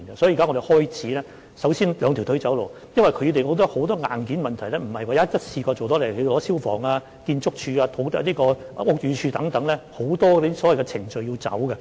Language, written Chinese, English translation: Cantonese, 所以，我們現在首先"兩條腿走路"，因為有很多硬件問題也不是一下子處理得到的，例如牽涉到消防處、建築署、屋宇署等，有很多程序要處理。, For this reason we now adopt a two - pronged approach as many hardware problems such as those involving the Fire Services Department Architectural Services Department and Buildings Department cannot be solved at once; a lot of procedures have to be followed